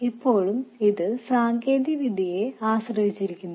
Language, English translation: Malayalam, Now it also depends on the technology itself